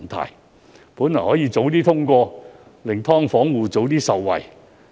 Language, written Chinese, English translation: Cantonese, 《條例草案》本應早已通過，令"劏房戶"早些受惠。, The Bill should have been passed a long time ago to benefit SDU tenants much earlier